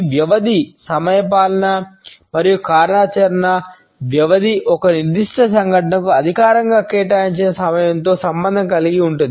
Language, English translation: Telugu, Duration is related with the time which is formally allocated to a particular event